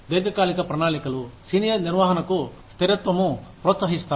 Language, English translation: Telugu, Long term plans encourage, stability for senior management